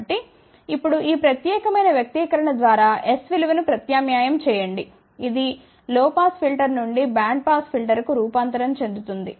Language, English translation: Telugu, So, now, substitute the value of s by this particular expression, which is the transformation from low pass filter to bandpass filter